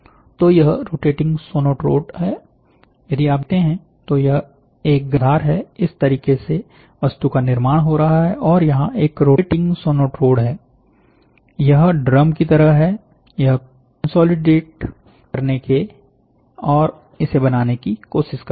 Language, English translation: Hindi, so here if you see, this is a heated base, this is how the object is getting built, and here is a rotating sonotrode, it is a drum, which goes from this to this